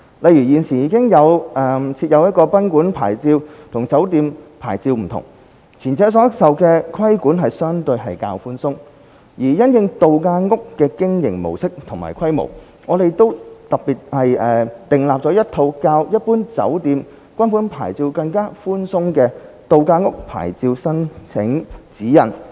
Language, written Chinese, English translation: Cantonese, 例如，現時已設有賓館牌照，與酒店牌照不同，前者所受規管相對較寬鬆；而因應度假屋的經營模式和規模，我們特別訂立了一套較一般酒店/賓館牌照更寬鬆的"度假屋牌照申請指引"。, For example we now have a differentiation between guesthouse licences and hotel licences with the former subject to relatively relaxed regulation . In the light of the mode of operation and scale of holiday flats we have particularly formulated A Guide to Licence Applications for Holiday Flat with more relaxed requirements than those for general hotelguesthouse licences